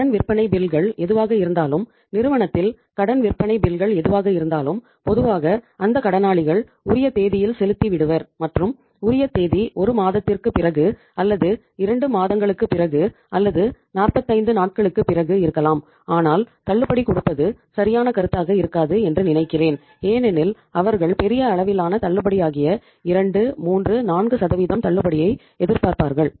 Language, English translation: Tamil, Whatever the credit sales bills firm has whatever the credit sale bills the firm has normally those debtors are going to pay on the due date and that if the due date is after say a month or maybe after 2 months or 45 days I think giving the discount may not be a right proposition because they would expect a big amount of discount say large amount of discount maybe 2, 3, 4%